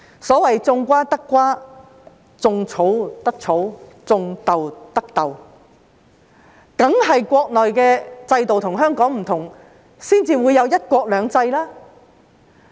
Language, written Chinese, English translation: Cantonese, 所謂"種瓜得瓜，種草得草，種豆得豆"，當然是國內的制度與香港有所不同才會有"一國兩制"。, Of course it is because there is a difference in system between the Mainland and Hong Kong that we have one country two systems